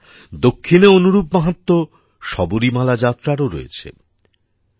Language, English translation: Bengali, Friends, the Sabarimala Yatra has the same importance in the South